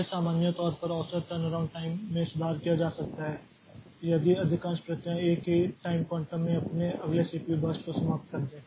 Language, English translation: Hindi, So, in general the average turnaround time can be improved if most of the processes finish their next CPU burst in a single time quantum